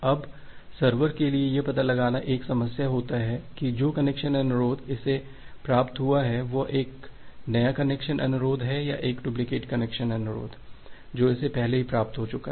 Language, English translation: Hindi, Now, the problem for the server is to find out that whether this connection request one that it has received, whether that is a new connection request or it is a duplicate of the connection request to that that it has already received